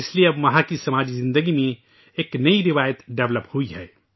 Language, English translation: Urdu, Now that is why, a new tradition has developed in the social life there